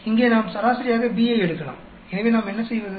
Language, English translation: Tamil, Here we can take B as averaged out, so what do we do